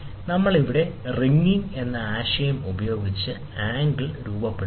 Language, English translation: Malayalam, Again, here we use the concept of ringing to form the angle